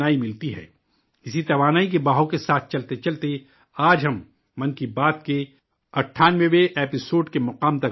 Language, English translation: Urdu, Moving with this very energy flow, today we have reached the milepost of the 98th episode of 'Mann Ki Baat'